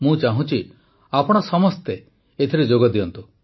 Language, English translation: Odia, I want you all to be associated with this